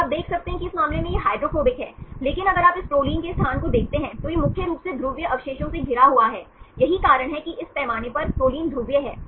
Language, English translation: Hindi, So, you can see this is hydrophobic in this case, but if you look into the location of this proline, it is mainly surrounded with polar residues, this is the reason why proline is polar in this scale